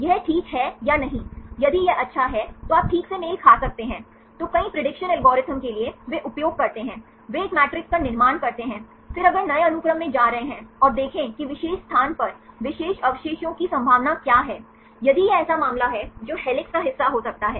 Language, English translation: Hindi, This is fine or not, if it is good then you can exactly match then for many prediction algorithms, they use, they construct a matrix, then if going to new sequence, and see what is the probability of particular residue at particular position, if this is the case that can be part of helix